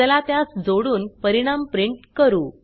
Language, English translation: Marathi, Let us add them and print the result